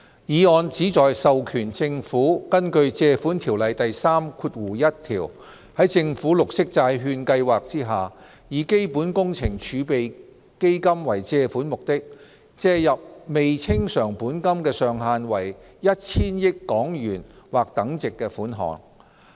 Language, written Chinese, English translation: Cantonese, 議案旨在授權政府根據《借款條例》第31條，在政府綠色債券計劃下，以基本工程儲備基金為借款目的，借入未清償本金的上限為 1,000 億港元或等值款項。, This Resolution seeks to authorize the Government to borrow under section 31 of the Loans Ordinance for the purposes of the Capital Works Reserve Fund CWRF sums not exceeding HK100 billion or equivalent that may be outstanding by way of principal under the Government Green Bond Programme